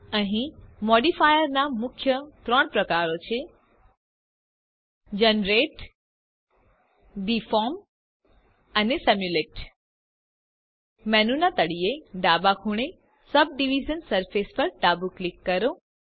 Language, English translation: Gujarati, Here are three main types of modifiers Generate, Deform and Simulate Left click Subdivision surface at the bottom left corner of the menu